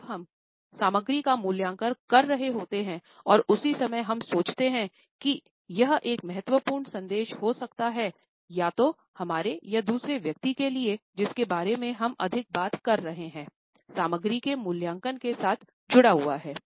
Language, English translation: Hindi, When we are evaluating the content and at the same time, we think that this might be an important message either to us or more to the other person often we are talking to in addition to be associated with the evaluation of content